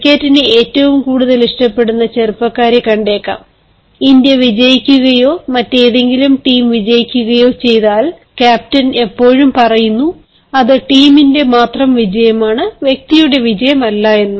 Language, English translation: Malayalam, you might have seen, as youngsters who are most fond of cricket, they often come across certain situations where if india wins or any other team wins, the leader always says it is the teams victory and not the individuals victory